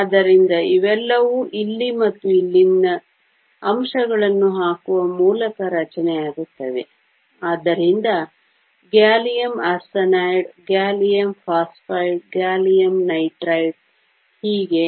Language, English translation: Kannada, So, all of these are formed by putting elements from here and from here, so gallium arsenide, gallium phosphide, gallium nitride and so on